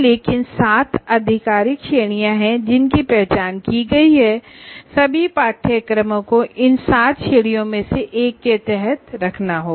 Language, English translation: Hindi, These are the officially the categories that are identified, the seven categories and all courses will have to be put under one of these seven categories